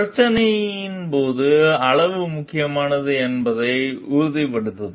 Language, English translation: Tamil, To make sure like the issue is sufficiently important